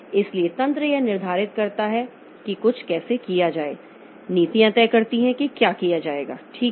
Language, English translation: Hindi, So, mechanisms determine how to do something, policies decide what will be done